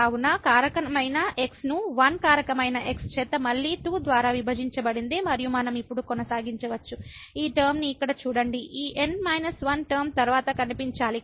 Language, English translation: Telugu, So, factorial divided by 1 factorial again divided by 2 and so, on we can continue now just look at this term here which have appear after this minus 1 term